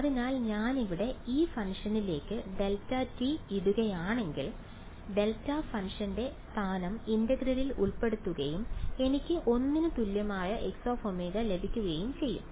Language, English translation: Malayalam, So, if I put delta t into this function over here right the location of the delta function is included in the integral and I am going to get a X of omega equal to 1 right